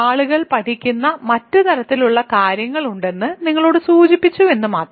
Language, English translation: Malayalam, This remark is to indicate you that there are other kinds of things that people study